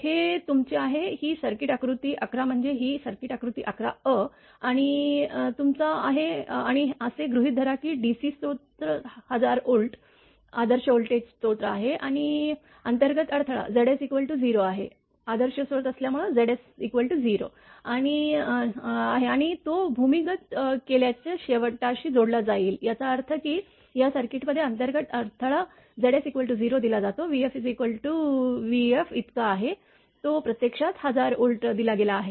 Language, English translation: Marathi, This is your, this is the same circuit diagram 11 a means this circuit diagram same circuit diagram right, 11 a and your and assume that the DC source is a one 1000 Volt ideal voltage source and so that the internal impedance Z s is 0 and it is connected to the sending end of an underground cable